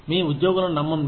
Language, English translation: Telugu, Trust your employees